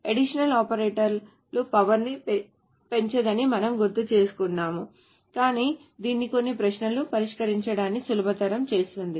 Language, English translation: Telugu, Just to remind you that the additional operators do not increase the power but it makes solving some of the queries easier